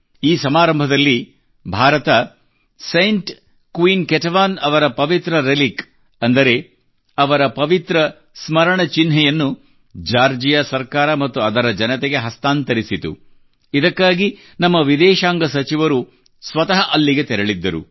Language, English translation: Kannada, In this ceremony, India handed over the Holy Relic or icon of Saint Queen Ketevan to the Government of Georgia and the people there, for this mission our Foreign Minister himself went there